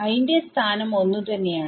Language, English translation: Malayalam, So, i location is the same i minus 1